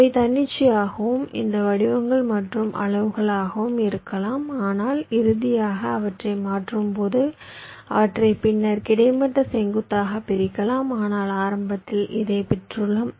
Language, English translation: Tamil, they can be of arbitrary and these shapes and sizes, but when you finally convert them, may be you can convert them into segment, horizontal, vertical later on, but initially you have got this